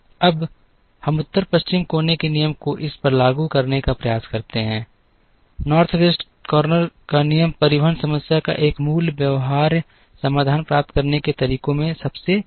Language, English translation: Hindi, Now, let us try and apply the North West corner rule to this, North West corner rule is the simplest of the methods to get a basic feasible solution to the transportation problem